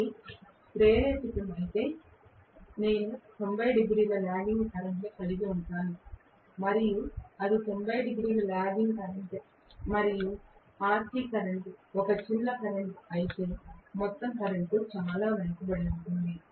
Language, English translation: Telugu, But if it is inductive, I am going to have 90 degree lagging current and if it is 90 degree lagging current and RC current is a small current then overall current is going to be extremely lagging